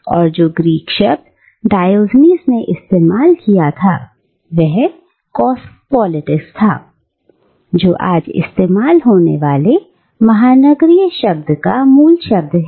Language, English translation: Hindi, And the Greek word that Diogenes apparently used was kosmopolitês, which is the root word of cosmopolitan that we use today